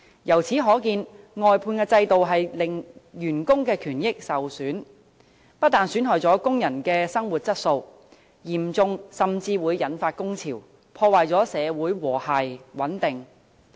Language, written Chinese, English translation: Cantonese, 由此可見，外判制度令員工權益受損，不但損害工人的生活質素，嚴重時甚至會引發工潮，破壞社會和諧穩定。, From this we can see that the outsourcing system has undermined labour rights and benefits . This will not only take toll on the quality of living of workers but will in more serious cases even give rise to strikes to the detriment of social harmony and stability